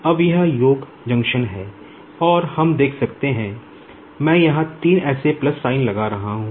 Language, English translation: Hindi, Now, this is the summing junction and we can see, I am putting three such plus sign here